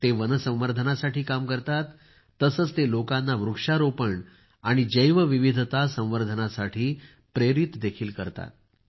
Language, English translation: Marathi, He has been constantly working for forest conservation and is also involved in motivating people for Plantation and conservation of biodiversity